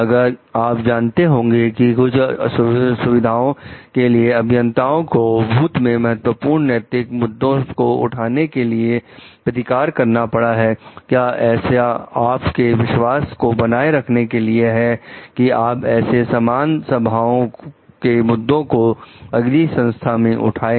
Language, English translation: Hindi, Like if you know that engineers at some facility have been retaliated against in the past for raising important ethical issues, what would it take to restore your trust that you could raise issues of a similar nature at a successor organization